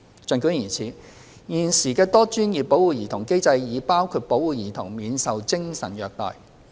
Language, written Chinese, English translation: Cantonese, 儘管如此，現時的多專業保護兒童機制已包括保護兒童免受精神虐待。, Nonetheless the existing multi - disciplinary child protection mechanism already covers the protection of children from psychological abuse